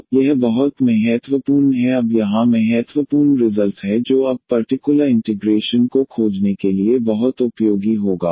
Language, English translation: Hindi, So, this is very important now here the important result which will be very useful now to find the particular integral